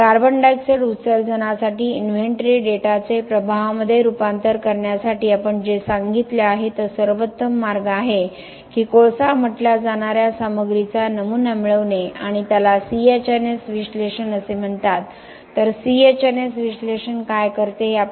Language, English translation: Marathi, So, for CO2 emissions for converting the inventory data to an impact what we have said is the best way is to get a sample of the material say coal and do a what is called as CHNS analysis, so what does CHNS analysis do